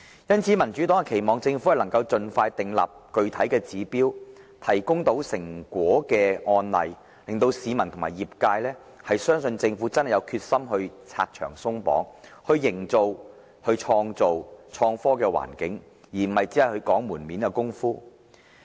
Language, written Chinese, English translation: Cantonese, 因此，民主黨期望政府能夠盡快訂立具體指標，提供產生成果的案例，令市民和業界相信政府真的有決心"拆牆鬆綁"，以創造創科環境，而不是只做"門面工夫"。, The Democratic Party therefore hopes that the Government will expeditiously set specific targets and produce some successful cases so that members of the public and the sector will be convinced that it is not all talk but no action; instead the Government is resolved to remove red tape and create a favourable environment for the development of innovation and technology